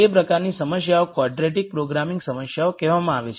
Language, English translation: Gujarati, Those types of problems are called quadratic programming problems